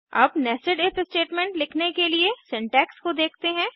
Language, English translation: Hindi, Now let us look at the syntax for writing the Nested If statement